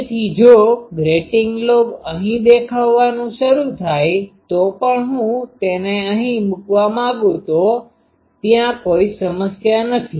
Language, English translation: Gujarati, So, if I want to put that even if the grating lobe starts appearing here there is no problem